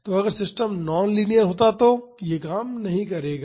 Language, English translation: Hindi, So, if the system was non linear this will not work